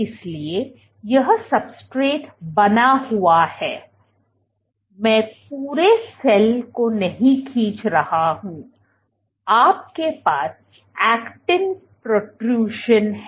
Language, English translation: Hindi, So, this remains the substrate, I am not drawing the entire cell, you have actin protrusion